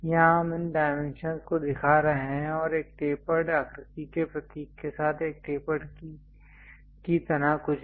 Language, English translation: Hindi, Here we are showing these dimensions and also something like a tapered one with a symbol of tapered shape